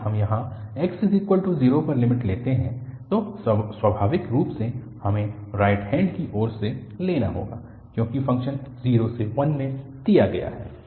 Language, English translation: Hindi, If we take the limit here at x equal to 0, naturally we have to take from the right hand side, because the function is given in 0 and 1